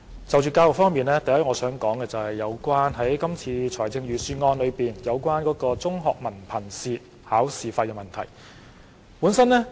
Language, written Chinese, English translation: Cantonese, 就教育方面，首先我想談論今次財政預算案代繳中學文憑試考試費的措施。, As regards education first I wish to discuss the measure of paying the examination fees for the Hong Kong Diploma of Secondary Education Examination HKDSE announced in the Budget